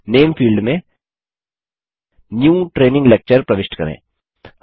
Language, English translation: Hindi, In the Name field, enter New Training Lecture